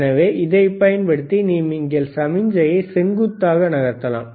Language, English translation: Tamil, So, vertical position you can move the signal horizontal